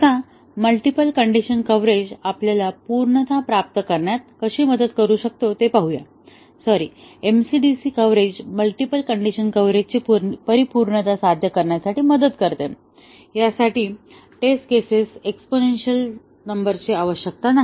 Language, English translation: Marathi, Now, let us see how the multiple condition coverage can help us achieve the thoroughness of; sorry, the MC, DC coverage can achieve, help to achieve the thoroughness of the multiple condition coverage without requiring an exponential number of test cases